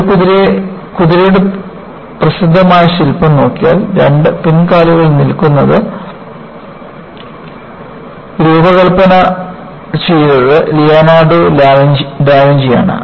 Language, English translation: Malayalam, If you look at the famous sculpture of a horse, standing on two hind legs was designed by Leonardo Da Vinci